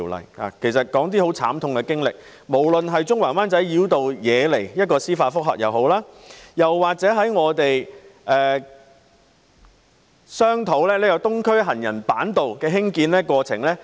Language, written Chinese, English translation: Cantonese, 我想提述一些慘痛經歷，包括中環及灣仔繞道惹來的司法覆核，以及商討興建東區走廊行人板道的過程。, I would like to mention some painful experiences including the judicial reviews on the Central―Wan Chai Bypass and the deliberation on the construction of the boardwalk underneath the Island Eastern Corridor